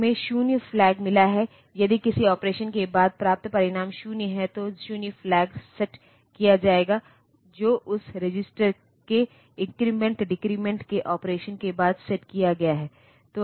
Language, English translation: Hindi, We have got 0 flag if the result obtained after an operation is 0, then the 0 flag will be set is set following the increment decrement operation of that register